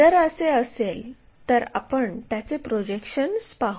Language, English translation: Marathi, If that is the case draw its projections